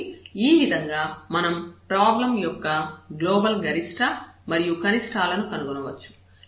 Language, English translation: Telugu, So, in this way we can find the global maximum and minimum of the problem